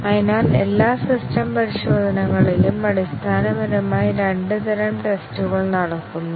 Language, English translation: Malayalam, So, in all the system testing there are basically two types of tests that are carried out